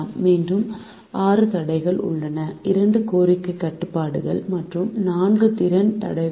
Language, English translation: Tamil, there are again six constraint to for the demand constraints and four for the capacity constraints